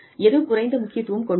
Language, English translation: Tamil, Which is less important